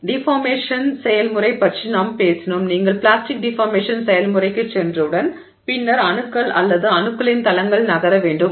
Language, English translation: Tamil, The deformation process, once you have gone into the plastic deformation process, then atoms or planes of atoms have to move